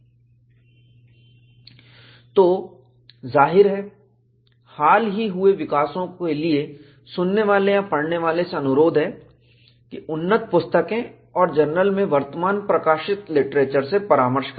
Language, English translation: Hindi, And obviously, for recent developments, the listener or the reader is requested to consult advanced books on the subject and current literature in journals